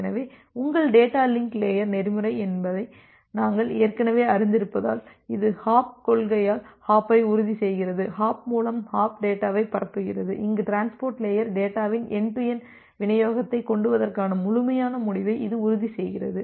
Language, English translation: Tamil, So, as we have learnt already that your data link layer protocol, it ensures the hop by hop principles, the hop by hop transmission of data where as the transport layer, it ensures the complete end to end delivery of the data